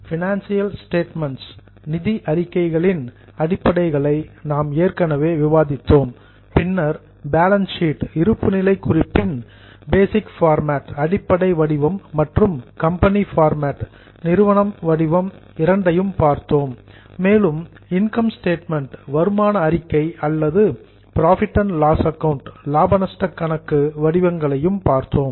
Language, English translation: Tamil, We have already discussed the basics of financial statements then we have seen balance sheet both the basic format and the company format and we have also seen income statement or profit and loss account formats